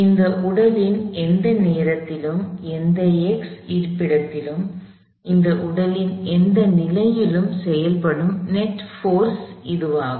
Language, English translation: Tamil, This is the net force acting on this body at any instant of time, at any x location, at any position of this body